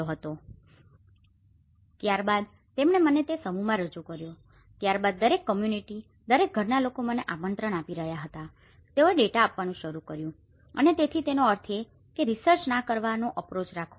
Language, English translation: Gujarati, I said can you please allow me so then he introduced me in the mass that is where, then onwards every community, every household is inviting me and they have started giving the data and so which means the idea is to approach to not to do a research